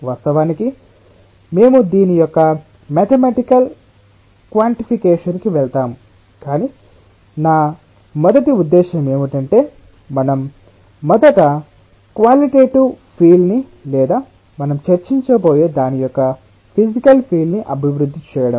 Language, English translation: Telugu, of course we will go in to the mathematical quantification of this, but my first intention is that we first develop a qualitative feel of, or the physical feel of, what we are going to discuss about now